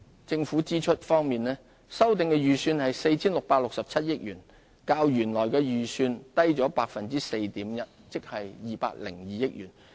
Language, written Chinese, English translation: Cantonese, 政府支出方面，修訂預算為 4,667 億元，較原來預算低 4.1%， 即202億元。, As for government expenditure I forecast a revised estimate of 466.7 billion 4.1 % or 20.2 billion lower than the original estimate